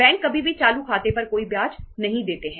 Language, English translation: Hindi, Banks never pay any interest on the current account